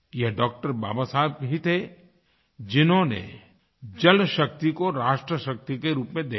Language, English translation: Hindi, Baba Saheb who envisaged water power as 'nation power'